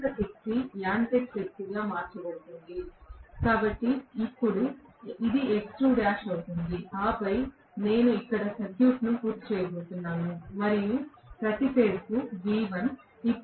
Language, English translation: Telugu, More power will be converted into mechanical power as well, so now, I will have, of course, X2 dash, this will be X2 dash and then I am going to complete the circuit here, and this is V1 per phase